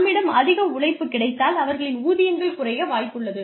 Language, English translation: Tamil, Anything more, if we have more labor coming in, their wages are likely to come down